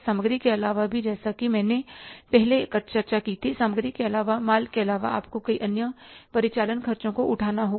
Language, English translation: Hindi, Apart from the material, as I discussed earlier, apart from inventory, apart from the material, you have to incur so many other operating expenses